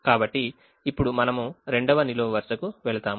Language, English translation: Telugu, so now we go to the second column